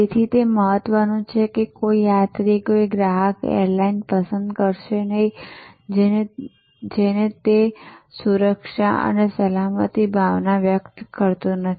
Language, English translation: Gujarati, So, it is important, no passenger, no customer will choose an airline, which does not portray does not convey that sense of security and safety